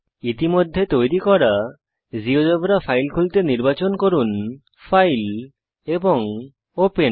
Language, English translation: Bengali, Open any GeoGebra file that you have already created by selecting menu option File and Open